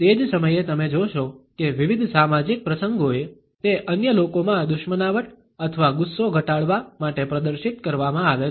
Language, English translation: Gujarati, At the same time you would find that on various social occasions, it is displayed to lower the hostility or rancor in other people